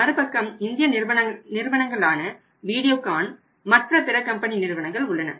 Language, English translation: Tamil, On the other side we have Indian companies like Videocon, Onida or some other companies also